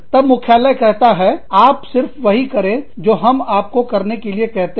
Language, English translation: Hindi, Then, headquarters say, you just do, what we tell you to do